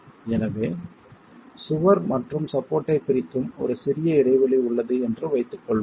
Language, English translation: Tamil, So, let's assume that there is a small gap which separates the wall and the support